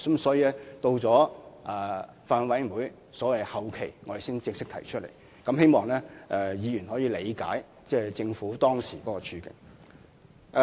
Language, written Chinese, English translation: Cantonese, 所以，我們到法案委員會的審議後期才正式提出修訂，希望議員可以理解政府當時的處境。, Hence it was not until the final stage of scrutiny by the Bills Committee that we could formally put forward the amendments . I hope that Members can understand the situation of the Government at that time